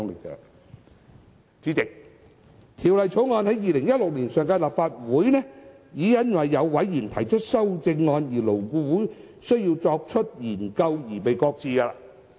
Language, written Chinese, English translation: Cantonese, 《2016年條例草案》在上屆立法會已因為有委員提出修正案，以致勞顧會需要進一步研究而被擱置。, The 2016 Bill was shelved in the last Legislative Council because a member had proposed amendments thereto which required further studies by LAB